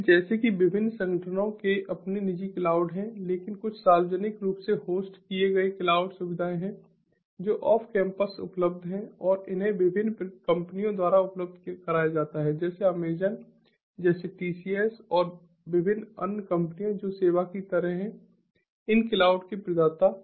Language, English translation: Hindi, so, like that, different organizations have their own private cloud, but there are some publicly hosted cloud facilities which are available off campus, off premises, and these are made available by different companies like amazon, like ah, ah, tcs and different other companies who are sort of like service providers of these cloud